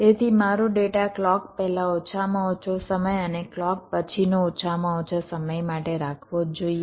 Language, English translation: Gujarati, so my data must be kept stable a minimum time before the clock and also minimum time after the clock